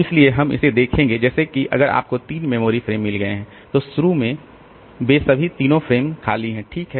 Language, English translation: Hindi, So, we'll see this one like if you have got three memory frames then initially all of them are so all the three frames are empty